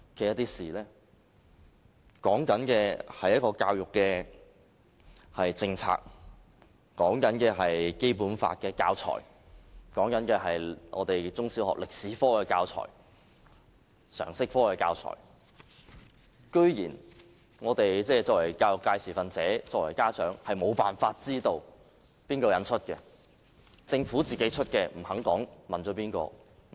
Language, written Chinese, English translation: Cantonese, 現在說的是一項教育政策、是《基本法》的教材、是中小學歷史科的教材和常識科的教材，我們作為教育界持份者、作為家長的，居然沒有辦法知道誰人出版。, We are talking about an education policy Basic Law teaching materials and the teaching materials for history and general studies in primary and secondary schools but we as education stakeholders and parents are even unable to know the names of the publisher . The Government refuses to disclose whom it consulted when compiling its teaching materials